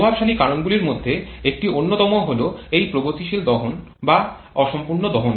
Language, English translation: Bengali, One of the most dominating factors can be this progressive combustion and incomplete combustion